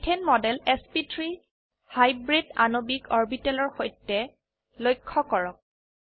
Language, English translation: Assamese, Observe the model of methane with sp3 hybridized molecular orbitals